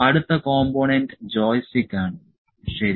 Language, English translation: Malayalam, So, next component is joystick, ok